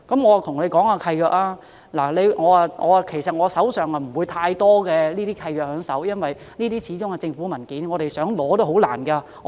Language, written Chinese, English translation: Cantonese, 我手邊其實並無太多這類契約，因為這些始終是政府文件，我們想索取也頗困難。, I actually do not have too many deeds of this kind on hand because after all these are government documents to which we can hardly have access